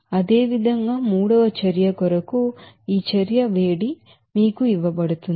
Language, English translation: Telugu, Similarly, for third reaction this heat of reaction is given to you